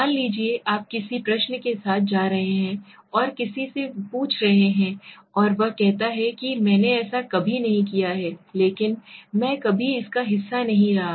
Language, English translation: Hindi, Suppose you are going to with a question and asking somebody and he says I have never done it for I have never been a part of it, right